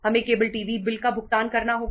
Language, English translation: Hindi, We have to pay the cable TV bill